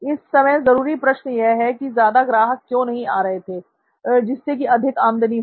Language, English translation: Hindi, So the question to ask right now would be, why don’t many customers show up, thus which will result in my high revenue